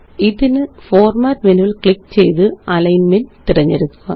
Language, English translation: Malayalam, For this, let us click on Format menu and choose Alignment